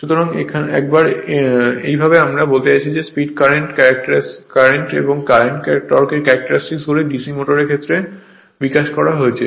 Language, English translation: Bengali, So, once thus I mean there nature is same once the speed current and you and current torque current characteristics of DC motors are developed